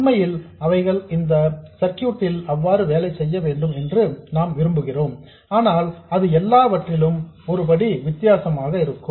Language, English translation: Tamil, In fact, that's how we want them to behave in this circuit but that is a different step altogether